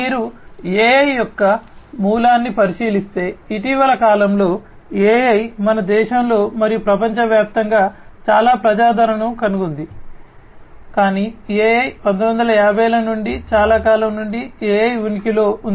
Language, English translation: Telugu, If you look at the origin of AI, AI in the recent times have found lot of popularity in our country and globally, but AI has been there since long starting from the 1950s AI has been in existence